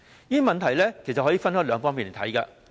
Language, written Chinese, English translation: Cantonese, 這問題其實可以分兩方面來看。, This problem can actually be considered from two perspectives